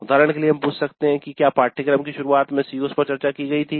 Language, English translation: Hindi, For example, we can ask COs were discussed right in the beginning of the course